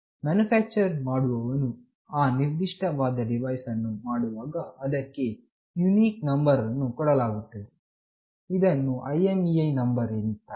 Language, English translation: Kannada, When the manufacturer builds that particular device, it gives a unique number to it that is called IMEI number